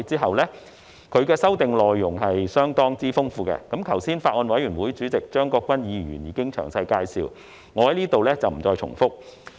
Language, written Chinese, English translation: Cantonese, 是次修訂的內容相當豐富，剛才法案委員會主席張國鈞議員已作出詳細介紹，我在此不再重複。, Mr CHEUNG Kwok - kwan Chairman of the Bills Committee has just given a detailed introduction of the rather copious contents of the amendments proposed this time which I am not going to repeat here